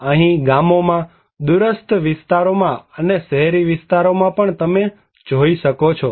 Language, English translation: Gujarati, Here is also some more in the villages, remote areas and also in urban areas